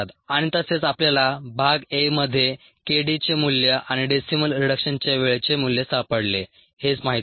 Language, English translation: Marathi, and also we found in part a the value of k d and the value of the decimal reduction time